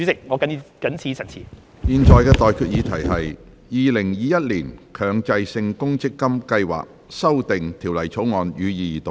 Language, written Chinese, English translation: Cantonese, 我現在向各位提出的待決議題是：《2021年強制性公積金計劃條例草案》，予以二讀。, I now put the question to you and that is That the Mandatory Provident Fund Schemes Amendment Bill 2021 be read the Second time